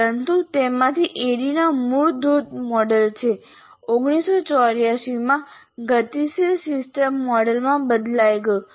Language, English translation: Gujarati, But ADI from its original waterfall model changed to dynamic system model in 1984